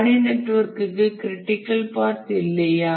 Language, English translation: Tamil, But is it possible that there is no critical path for a task network